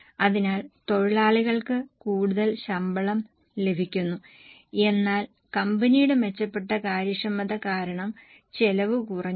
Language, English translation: Malayalam, So, workers are getting more pay but for the company the cost has gone down because of better efficiency